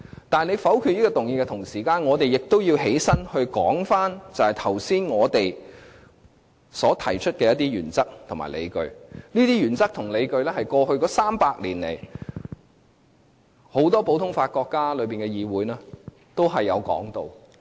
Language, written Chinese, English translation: Cantonese, 但是，他們否決這項議案的同時，我們亦要站起來發言，說明剛才我們所提出的一些原則及理據，而這些原則及理據，是過去300年來很多實行普通法國家的議會都有提到的。, Nevertheless while they will veto this motion we still have to stand up and speak citing the principles and arguments that we mentioned earlier which have been embraced by the councils or parliaments of many common law jurisdictions over the past 300 years